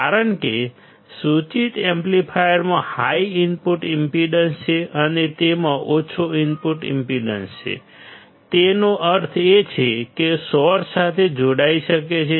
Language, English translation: Gujarati, Because the indicated amplifier has a high input impedance and it has low output impedance; that means, it can be connected to a source